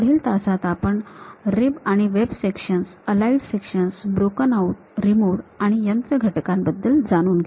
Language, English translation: Marathi, In the next class we will learn about rib and web sections, aligned sections, broken out, removed and machine elements